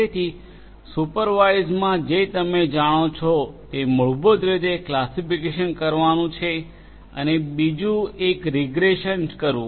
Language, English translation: Gujarati, So, supervised learning you know one technique is to basically classify the other one is to do regression